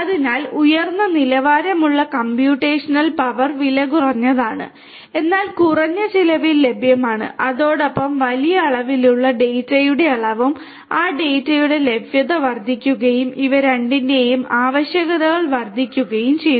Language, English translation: Malayalam, So, high end computational power cheaper, but available at low cost and coupled with that the amount of large amounts of data have the availability of that data has also increased and the requirements for both of these has also increased